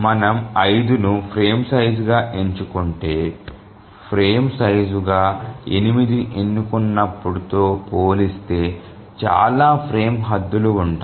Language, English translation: Telugu, So, if we choose 5 as the frame size, then there will be many frame boundaries compared to when we choose 8 as the frame size